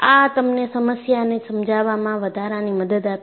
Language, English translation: Gujarati, It gives you additional help in understanding the problem